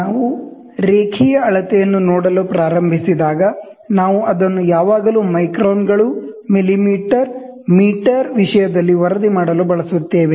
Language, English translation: Kannada, When we start looking into the linear measurement, then we will always use to report it in terms of microns, millimeter, meter all those things